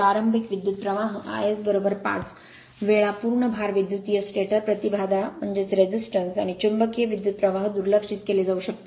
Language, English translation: Marathi, The starting current is five times the full load current the stator impedance and magnetizing current may be neglected